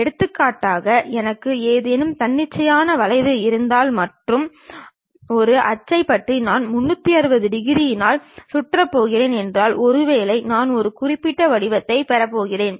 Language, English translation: Tamil, For example, if I have some arbitrary curve and about an axis if I am going to revolve it by 360 degrees, perhaps I might be going to get one particular shape